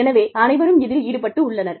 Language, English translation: Tamil, So, everybody is involved